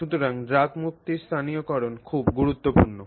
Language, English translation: Bengali, So localizing the drug release is very important